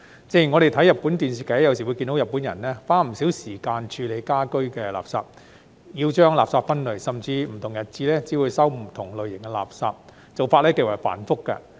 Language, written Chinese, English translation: Cantonese, 正如我們看日本電視劇，有時會看到日本人花不少時間處理家居垃圾，要將垃圾分類，甚至不同日子只會接收不同類型的垃圾，做法極為繁複。, When watching Japanese television dramas we sometimes see the Japanese people spending much time on handling domestic waste and waste separation . The way of handling is extremely complicated as different kinds of waste will be collected on separate days